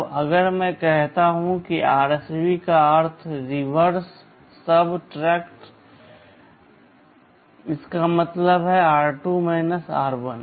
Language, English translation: Hindi, Now, if I say RSB this stands for reverse subtract this means r2 r1